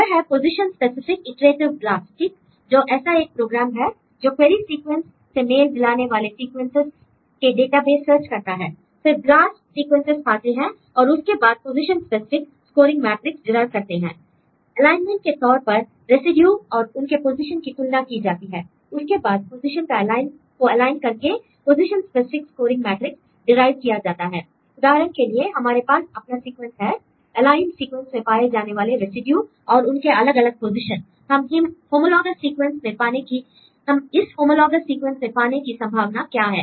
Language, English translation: Hindi, It is a position specific iterative BLAST right is a program which searches database sequences similar to query sequence then they get the BLAST sequences right and then we try to derive the position specific scoring matrix based on the alignment you can compare the positions and the residues and different positions, then they try to align these positions and derive the position specific scoring matrix